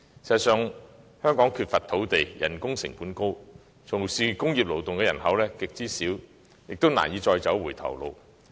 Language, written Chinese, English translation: Cantonese, 事實上，香港缺乏土地、人工成本高，從事工業勞動的人口極少，我們難以再走回頭路。, In fact given our shortage of land high labour costs and a very small working population engaging in the industrial sector it is very difficult for us to backtrack